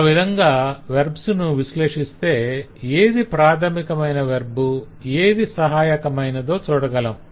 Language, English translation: Telugu, so when we analyze verbs we can actually see that what is a primary verb and what are the auxiliary one